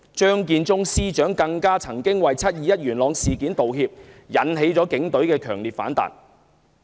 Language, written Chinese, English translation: Cantonese, 張建宗司長曾為"七二一"事件道歉，更引起警隊強烈反彈。, An apology for the 21 July incident given by Matthew CHEUNG Chief Secretary for Administration also provoked a fierce backlash from the Police Force